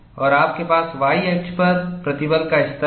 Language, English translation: Hindi, And you have the stress levels on the y axis